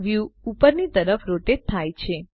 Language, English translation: Gujarati, The view rotates upwards